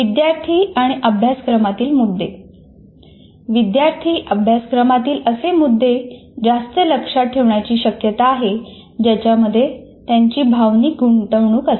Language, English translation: Marathi, And with regard to students and content, students are much more likely to remember curriculum content in which they have made an emotional investment